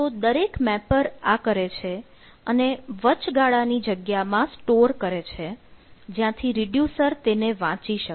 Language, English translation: Gujarati, so every mapper does it and then it basically stored in the in a intermediate space where the reducer reads